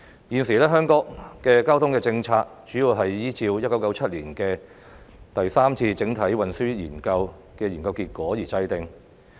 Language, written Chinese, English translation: Cantonese, 現時，香港的交通政策，主要是依照1997年展開的第三次整體運輸研究的研究結果而制訂。, At present the transport policy of Hong Kong is mainly formulated on the basis of the findings of the Third Comprehensive Transport Study commenced in 1997